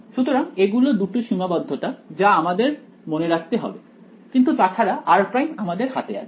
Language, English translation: Bengali, So, these are the 2 constraints that have to be kept in mind, but other than that r prime is in my hands